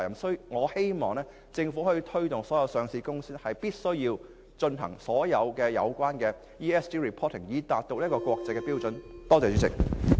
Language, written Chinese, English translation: Cantonese, 所以，我希望政府可以推動所有上市公司均必須披露環境、社會及管治資料，以達到國際標準。, Therefore I hope the Government can advocate the universal application of such a requirement to all listed companies so that they will make ESG disclosures in conformity with international standard